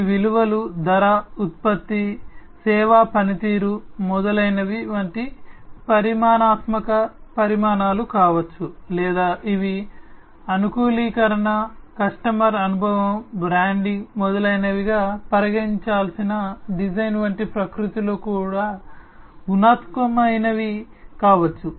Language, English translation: Telugu, These values could be quantitative such as the price aspects of price, product, service performance, etcetera or these could be qualitative in nature such as the design that has to be considered the customization, the customer experience, the branding, etcetera etcetera